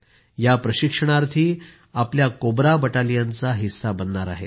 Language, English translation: Marathi, They will be a part of our Cobra Battalion